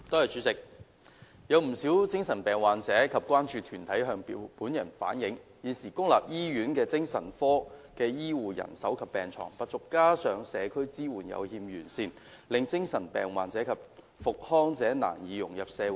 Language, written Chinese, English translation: Cantonese, 主席，有不少精神病患者及關注團體向本人反映，現時公立醫院精神科的醫護人手及病床不足，加上社區支援有欠完善，令精神病患者及康復者難以融入社會。, President quite a number of patients with mental illness and concern groups have relayed to me that the healthcare manpower and beds in the psychiatric service of public hospitals are now in short supply